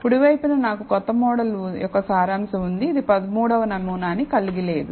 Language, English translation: Telugu, On the right, I have the summary of the new model, which does not contain the 13th sample